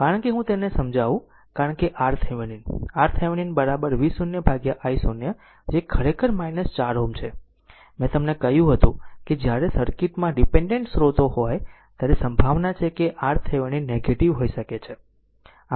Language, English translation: Gujarati, Because let me clear it, because R Thevenin R Thevenin is equal to V 0 by i 0 that is actually minus 4 ohm, I told you that when dependent sources are there in the circuit, there is a possibility that R Thevenin may become negative